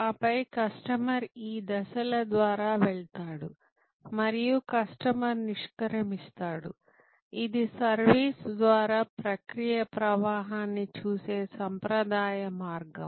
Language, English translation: Telugu, And then, the customer goes through these stages and customer exits, this is the traditional way of looking at process flow through the service